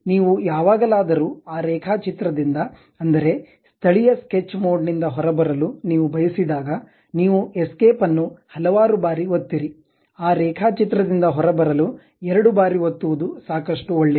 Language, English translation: Kannada, Whenever you would like to come out of that sketch the local sketch mode, you press escape several times; twice is good enough to come out of that sketch